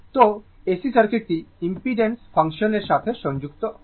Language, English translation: Bengali, So, and your what you call then AC circuit is related by the impedance function